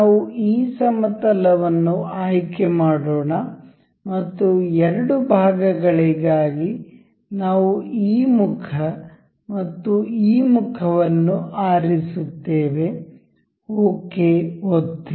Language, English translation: Kannada, Let us select this plane and for two elements, we will be selecting this face and say this face, just click it ok